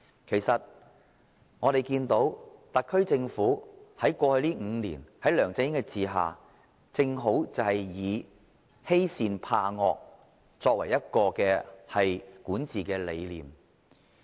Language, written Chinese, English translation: Cantonese, 其實，我們看到特區政府在過去5年，在梁振英的管治下，正好以欺善怕惡作為管治理念。, In fact we have seen that over the past five years the SAR Government under the LEUNG Chun - ying regime has been adopting the policy of bullies the meek and weak and fears the firm and strong as it governance philosophy